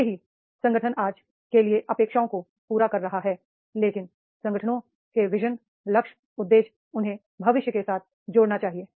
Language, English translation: Hindi, Even if organization is meeting the expectations for today, but the vision, goal, objectives of the organizations, they should link for the future